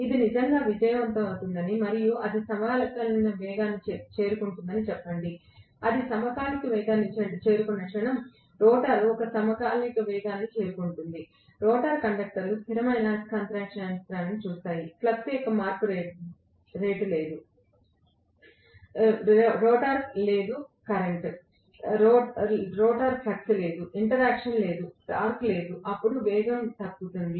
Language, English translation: Telugu, Let’s say it really succeeds and it reaches a synchronous speed, the moment it reaches a synchronous speed, the rotor reach a synchronous speed, the rotor conductors would see a stationary magnetic field, there is no rate of change of flux, there is no rotor current, there is no rotor flux, there is no interaction, there is no torque, then the speed will fall